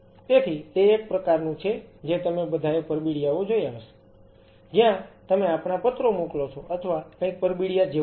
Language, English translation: Gujarati, So, it is kind of a you must have all have seen envelopes, where you keep our send our letters or something is almost similar to envelop and you can seal them